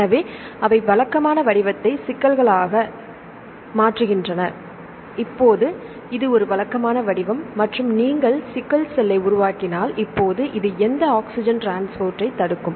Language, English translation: Tamil, So, they change the shape like the regular one into sickles; now this is a regular shape and if you make the sickle cell, now this will block this transport of this oxygen